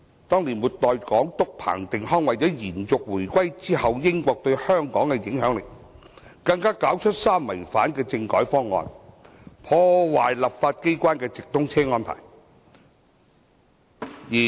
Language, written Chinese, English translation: Cantonese, 當年末代港督彭定康為了延續回歸後英國對香港的影響力，更搞出"三違反"的政改方案，破壞立法機關的直通車安排。, In order to extend Britains influence on Hong Kong after the reunification the last Governor of Hong Kong Chris PATTEN came up with a three violations constitutional reform proposal disrupting the through train arrangement of the legislature